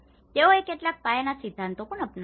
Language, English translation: Gujarati, They have also adopted some basic principles